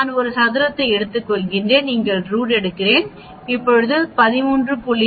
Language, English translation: Tamil, I take a square root here, it becomes 13